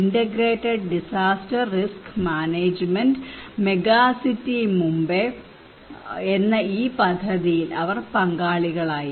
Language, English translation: Malayalam, They were involved in this project for integrated disaster risk management megacity Mumbai